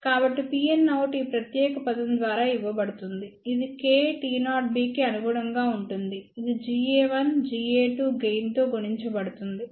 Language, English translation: Telugu, So, P n out is given by this particular term which will correspond to k T 0 B multiplied by gain G a 1, G a 2